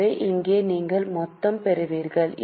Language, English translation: Tamil, So, here you get total